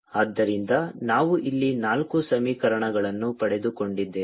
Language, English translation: Kannada, so we have got four equations here